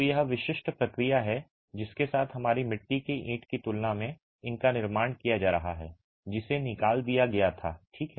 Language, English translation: Hindi, So, that is the typical process with which these are being manufactured in comparison to a clay brick which was fired